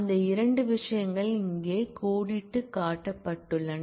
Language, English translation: Tamil, And those are the two things that are outlined here